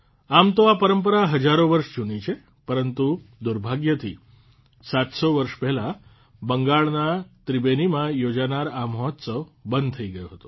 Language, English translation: Gujarati, Although this tradition is thousands of years old, but unfortunately this festival which used to take place in Tribeni, Bengal was stopped 700 years ago